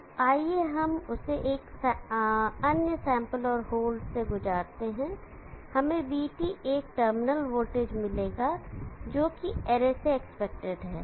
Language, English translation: Hindi, So let us that is also pass through the another sample and hole, we will get VT, the terminal voltage, what is expected of the array